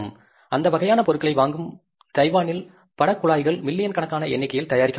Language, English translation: Tamil, In Taiwan, picture tubes are manufactured in millions of numbers